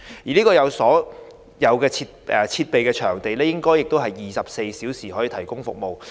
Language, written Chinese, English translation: Cantonese, 這個有所有設備的場地，應該是24小時提供服務。, This place with all the necessary equipment should provide round - the - clock services